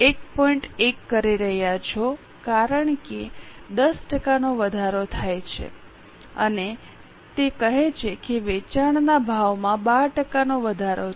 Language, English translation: Gujarati, 1 because 10% increase and it says 12% increase in the selling price